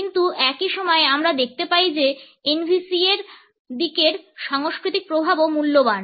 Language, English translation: Bengali, But at the same time we find that the cultural impact on this aspect of NVC is also valuable